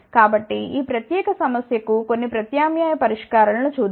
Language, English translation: Telugu, So, let us look at some alternate solutions for this particular problem